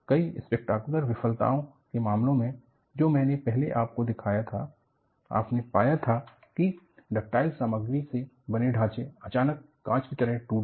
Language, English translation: Hindi, In the case of spectacular failures, which I had shown earlier, you found that, structures made of ductile materials, suddenly broke like glass